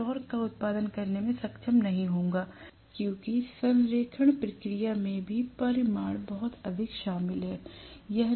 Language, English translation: Hindi, I will not be able to produce the torque because in the alignment process also the magnitude is very much involved